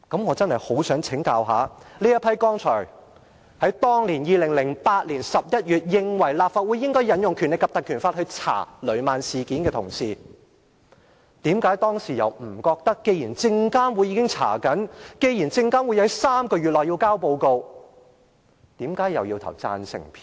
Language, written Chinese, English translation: Cantonese, 我實在很想請教一下這批於2008年11月認為立法會應引用《立法會條例》，調查雷曼事件的同事，為何當時在證監會已展開調查，並將會於3個月內提交報告的情況下，仍投贊成票？, I really want to hear it from these colleagues the reasons why they considered it necessary in November 2008 for this Council to invoke the Legislative Council Ordinance for the investigation of the Lehman incident and voted for the proposal then although an investigation has already been initiated by SFC and a report would be submitted within three months